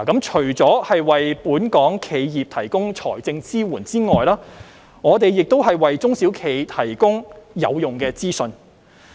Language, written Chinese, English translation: Cantonese, 除了為本港企業提供財政支援外，我們亦為中小企提供有用的資訊。, In addition to providing financial support to Hong Kong enterprises we also provide useful information to SMEs